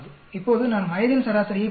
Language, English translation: Tamil, So, these are the age average